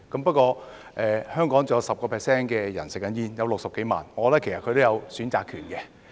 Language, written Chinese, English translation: Cantonese, 不過，香港仍有 10% 的人吸食香煙，有60多萬人，我覺得他們其實也有選擇權。, However there are still 10 % of Hong Kong people or more than 600 000 people who smoke cigarettes and I think they actually have the right to choose